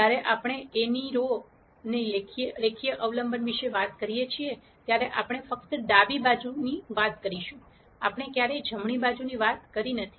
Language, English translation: Gujarati, When we talk about the linear dependence of the rows of A, we are only talking about the left hand side, we never talked about the right hand side